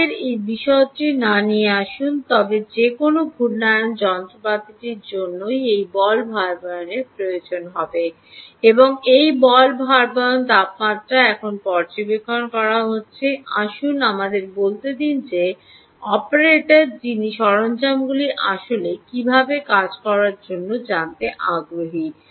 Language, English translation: Bengali, there are different sizes ok, lets not get into that detail but any rotating machinery will require this ball bearing, and this ball bearing temperature is now being monitored by, lets say, an operator who is interested in knowing how the equipment is actually functioning